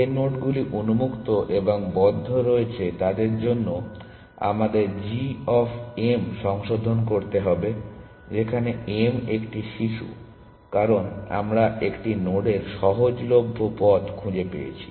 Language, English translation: Bengali, For nodes which are on open and on closed we need to revise g of m where m is a child, because we make might have found the cheaper path to a node